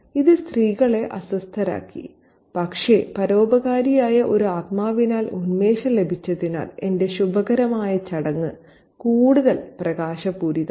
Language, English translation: Malayalam, This upset the women but buoyed by a benevolent spirit, my auspicious ceremony became luminous